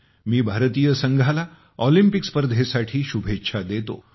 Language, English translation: Marathi, I wish the Indian team the very best for the Olympic Games